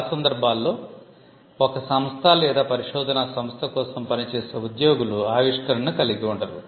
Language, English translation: Telugu, In most cases, employees who work for an organization, say a company or a research organization, do not own the invention